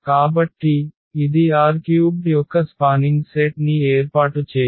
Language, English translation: Telugu, So, this does not form a spanning set of R 3